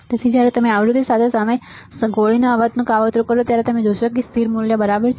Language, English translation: Gujarati, So, when you plot a shot noise against frequency you will find it has a constant value ok